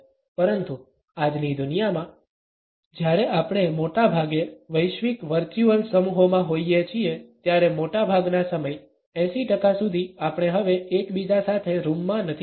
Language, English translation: Gujarati, But in today’s world, when we are often in global virtual teams most of the time up to 80 percent of the time we are not in the room with one another anymore